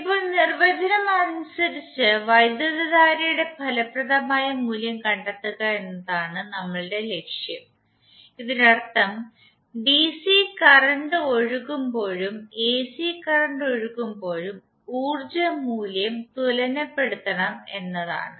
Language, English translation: Malayalam, Now as per definition our objective is to find out the effective value for the current it means that the power value should be equated when the DC current is flowing and when the A/C current is flowing